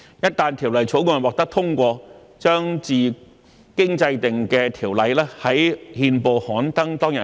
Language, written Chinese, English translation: Cantonese, 一旦《條例草案》獲得通過，將自經制定的條例於憲報刊登當日起實施。, Once it is passed it will come into operation on the day on which the enacted Ordinance is published in the Gazette